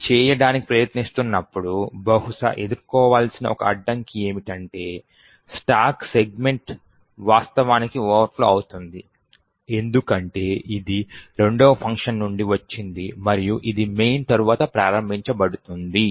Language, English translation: Telugu, The one hurdle which one would probably face while trying to go this is that the stack segment may actually overflow for instance because this is from the second function which is invoked soon after main